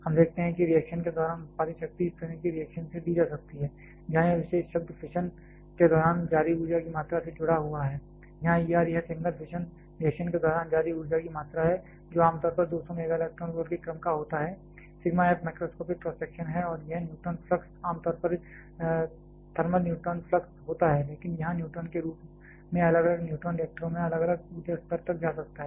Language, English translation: Hindi, We are seen the power produced during reaction can be given by such a reaction like this where this particular term is associated with amount of energy released during fission here E R this is one the amount of energy released during a single fission reaction; which is generally of the order of 200 MeV sigma f is the macroscopic cross section and this is the neutron flux generally the thermal neutron flux, but here as a neutron can have different neutron can pass to different energy level in reactors